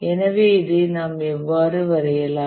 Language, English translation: Tamil, So how do we draw this